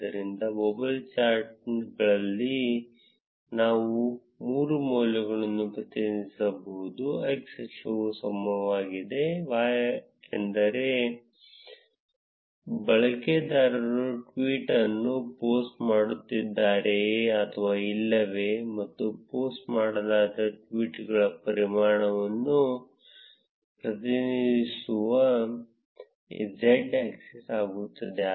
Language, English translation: Kannada, So, in bubble charts we can represent three values; the x axis being the time; y axis being whether user is posting the tweet or not; and the z axis which represents what is the volume of the tweets that has been posted